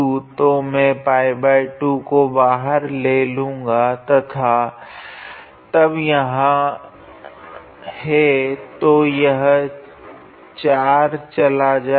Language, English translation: Hindi, So, I will take pi by 2 outside and then there is so, this 4 will be gone